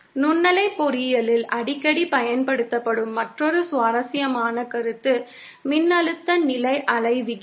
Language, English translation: Tamil, Another interesting concept that is frequently used in microwave engineering is the voltage standing wave ratio